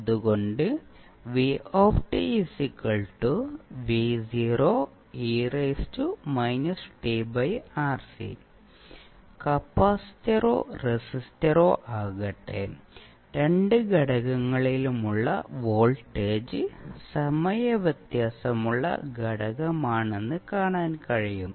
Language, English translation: Malayalam, so, here you will see that, the voltage across both of the components whether it is capacitor or resistor is are time varying component